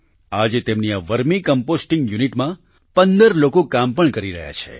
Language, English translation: Gujarati, Today 15 people are also working in this Vermicomposting unit